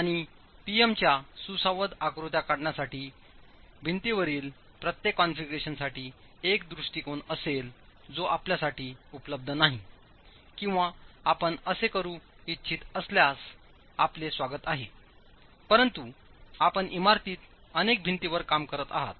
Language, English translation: Marathi, And since one approach would be for each configuration of wall to draw the PM interaction diagrams, which is not available to you or if you want to do that, you are welcome to do that but you are dealing with several walls in a building